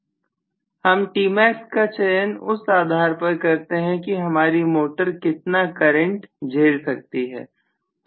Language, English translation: Hindi, I decide my T max depending upon what is the value of the current my motor can withstand